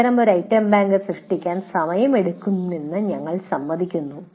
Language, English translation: Malayalam, We agree that creating such a item bank is, takes time